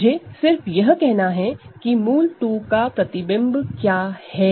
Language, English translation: Hindi, So, all I need to say is what is the image of root 2